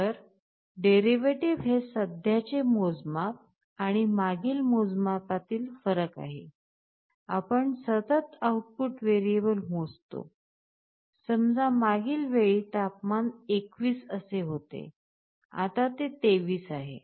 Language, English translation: Marathi, So, derivative is nothing but a measure of the difference between the current measure and the previous measure, you continuously sense the output variable, you saw that last time the temperature was let us say 21 now it is 23